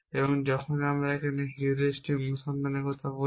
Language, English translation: Bengali, And heuristic search essentially uses that approach